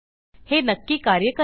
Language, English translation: Marathi, This will work for sure